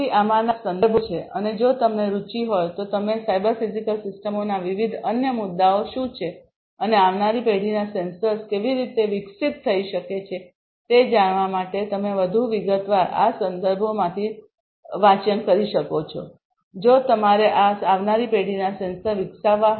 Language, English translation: Gujarati, So, these are some of these references and if you are interested you can go through these references in further detail, to know what are the different other issues of the cyber physical systems and how next generation sensors could be developed; if you have to develop these next generation sensors